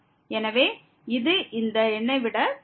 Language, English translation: Tamil, So, which is a bigger than this number as well